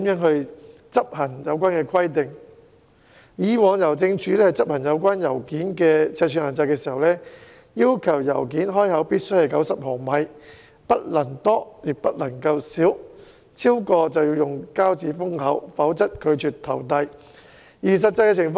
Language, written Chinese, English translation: Cantonese, 香港郵政以往執行有關信件尺寸的限制時，要求信件開口必須為90毫米，不能多亦不能少，超過便要以膠紙封口，否則拒絕投遞。, When Hongkong Post enforced the size requirements in the past it demanded that all open edges must be 90 mm in width; no more and no less . If the width exceeded the requirement adhesive tapes should be applied to the edges; otherwise the mail would not be posted